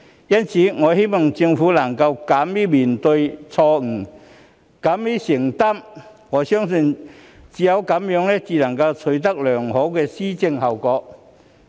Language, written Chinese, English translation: Cantonese, 因此，我希望政府能夠敢於面對錯誤，勇於承擔，我相信只有這樣做才能取得良好的施政效果。, Therefore I hope that the Government will have the courage to face up to its mistakes and accept responsibilities . I believe this is the only way by which it can achieve good governance